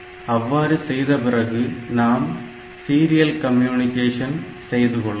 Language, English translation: Tamil, So, next we look into the serial communication